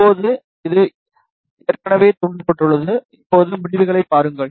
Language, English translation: Tamil, Now, it has already stimulated, now just see the results